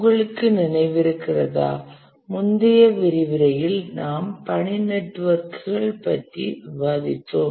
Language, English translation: Tamil, If you remember in the last lecture we had discussed about task networks